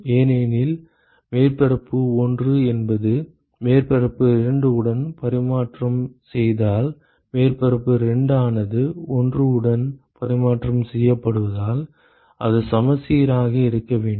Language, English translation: Tamil, Because if surface 1 is exchanging with surface 2, surface 2 is in turn exchanging with 1 so it has to be symmetric